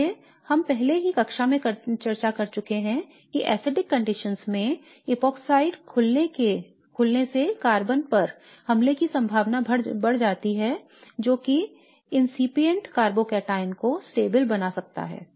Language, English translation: Hindi, So we have already discussed in class that epoxide opening under acidic conditions likely favours the attack on the carbon which can stabilize the incipient carbocataon better